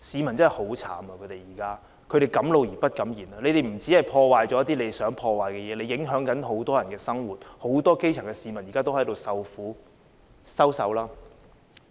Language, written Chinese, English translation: Cantonese, 暴徒不僅破壞了一些他們想破壞的東西，還影響了很多人的生活，很多基層市民現正受苦。, Rioters not only have damaged whatever they want but also affected the livelihood of many people and subjected many grass - roots people to hardship